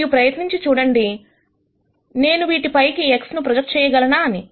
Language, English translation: Telugu, And then try and see whether I can project X on to these